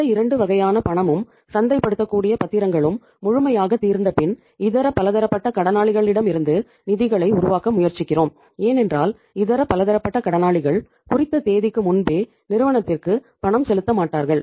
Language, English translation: Tamil, Once these 2 cash and the marketable securities are fully exhausted then we try to generate funds from the sundry debtors and sundry debtors because they will not make the payment to the firm uh before the due date normally